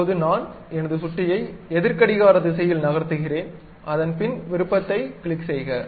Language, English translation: Tamil, Now, I am moving my mouse in the counter clockwise direction, then click the option, then it construct it